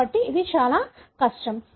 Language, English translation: Telugu, So, it is extremely difficult